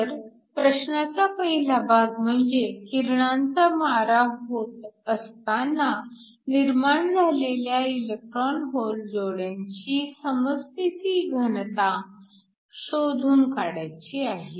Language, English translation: Marathi, So, the first part of the question, we need to calculate the equilibrium density of the electron hole pairs generated under radiation